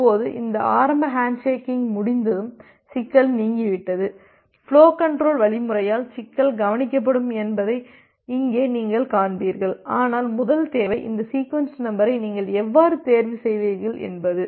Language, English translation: Tamil, Now, here you will see that once this initial handshaking is done, the problem is gone, the problem will be taken care of by the flow control algorithm, but the problem is the first requirement which was there, that how will you choose this initial sequence number